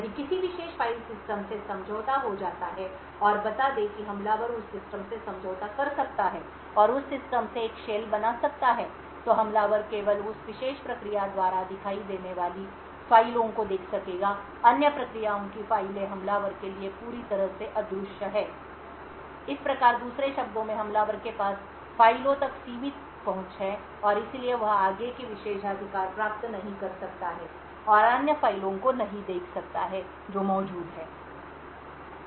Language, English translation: Hindi, If a particular file system gets compromised and let say the attacker has been able to compromise that system and create a shell from that system, the attacker would be only able to see the files that is visible by that particular process, the files of other processes are completely invisible for the attacker, thus in other words the attacker has limited access to files and therefore cannot get further privileges and view other files which are present